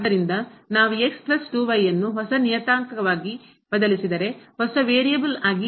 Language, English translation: Kannada, So, if we substitute plus 2 as a new parameter, as a new variable